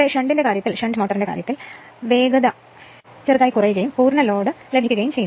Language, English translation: Malayalam, In the case of a shunt motor speed slightly drops and full load